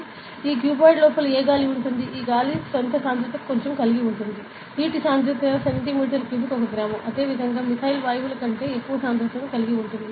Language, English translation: Telugu, And inside this cuboid there will be what air ok; this air also have it is own density, water has it is density of like 1 gram per centimetre cube, 1 gram per cc; and similarly methyl have more density than gases and so on